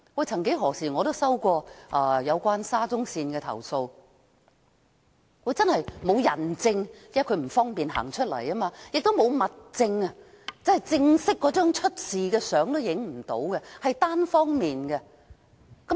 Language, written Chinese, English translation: Cantonese, 曾幾何時我也收到有關沙中線的投訴，沒有人證，因為證人不方便站出來指證；亦沒有物證，因未能拍攝事發時的正式照片，是單方面的指控。, At one time I also received a complaint about SCL . Yet there was no witness as the witness could not come forward to testify and there was no material evidence because photos could not be taken when the incident occurred . Hence this was a one - sided allegation